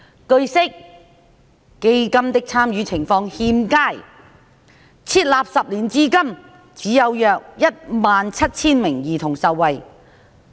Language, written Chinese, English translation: Cantonese, 據悉，基金的參與情況欠佳，設立10年至今只有約17000名兒童受惠。, It is learnt that the participation in CDF has been poor with only 17 000 children benefited since its establishment 10 years ago